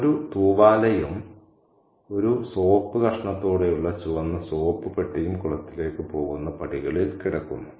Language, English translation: Malayalam, A towel and a red soap dish with a piece of soap in it were lying on the steps leading to the pond